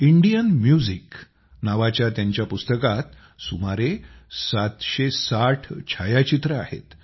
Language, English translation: Marathi, There are about 760 pictures in his book named Indian Music